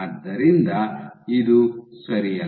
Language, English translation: Kannada, So, no this is right only